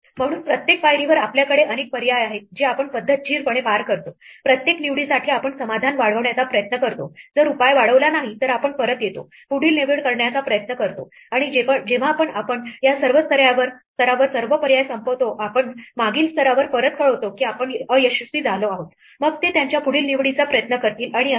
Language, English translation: Marathi, So, at each step we have a number of choices we go through them systematically, for each choice we try to extend the solution if the solution does not get extended we come back we try the next choice and when we exhaust all choices at this level we report back to the previous level that we have failed then they will try their next choice and so on